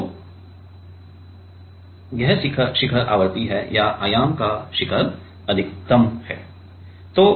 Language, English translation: Hindi, So, this is the peak frequency whereas, or the peak of the amplitude is maximum